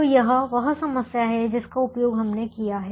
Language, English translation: Hindi, so this is the problem that we have used